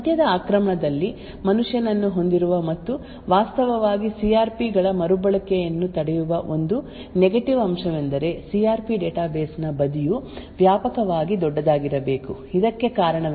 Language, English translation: Kannada, One negative aspect of having the man in the middle attack and actually preventing the reuse of CRPs is the fact that the side of the CRP database should be extensively large, the reason for this is that the CRP tables are generally created at the time of manufactured or before the device is filled